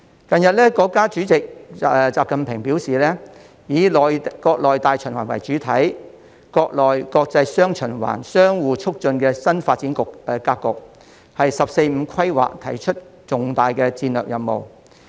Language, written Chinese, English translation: Cantonese, 近日，國家主席習近平表示，以國內大循環為主體，國內國際雙循環相互促進的新發展格局，為"十四五"規劃提出的重大戰略任務。, Recently President XI Jinping talked about a new development model which emphasizes the internal circulation as the mainstay with the dual circulation of the domestic and international markets which complement each other . It is an important strategic task in the 14 Five Year Plan of China